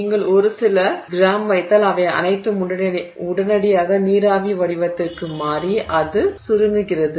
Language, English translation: Tamil, So, if you put a few grams, all of that is in vapor form, vapor form immediately